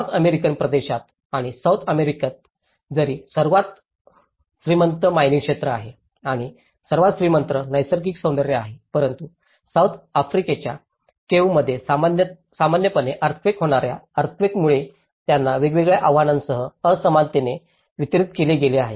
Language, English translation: Marathi, Within the North American region and in South American though they have the richest mining sector and the richest natural beauty but they also have been unequally distributed with various challenges especially, with the earthquakes which is very common in South American caves